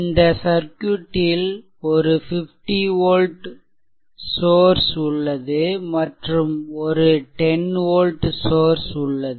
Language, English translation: Tamil, So, we have one 10 volt source, and we have one 50 volt source